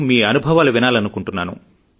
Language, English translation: Telugu, let's listen to his experiences